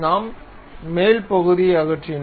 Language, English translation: Tamil, So, the top portion we have removed